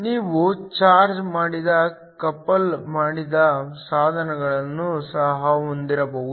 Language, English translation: Kannada, You could also have charged coupled devices